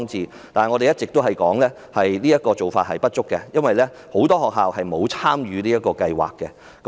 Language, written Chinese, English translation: Cantonese, 然而，我們一直說這樣做並不足夠，因為很多學校都沒有參與這項計劃。, Nevertheless we have been saying that this measure is inadequate because many schools have not participated in the programme